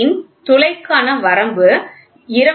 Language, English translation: Tamil, The limits of size for H 8 hole are 25